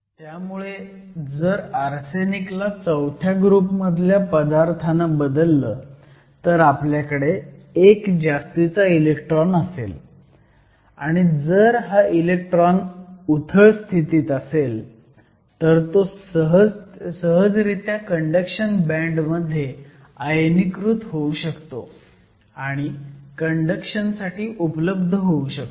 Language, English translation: Marathi, So, if an element from group VI replaces arsenic, we will have one extra electron and if this extra electron is in a shallow state, if it is easily ionisable, it can get ionized to the conduction band and be available for conduction